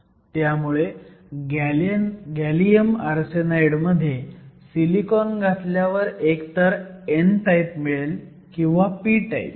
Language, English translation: Marathi, So, if we have gallium arsenide depending upon the type of impurity, we can either have both n type and p type